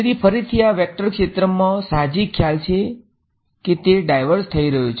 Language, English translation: Gujarati, So, again this vector field has an intuitive idea that it is diverging